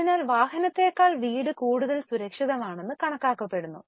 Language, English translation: Malayalam, So, house is considered to be much more safer asset than vehicle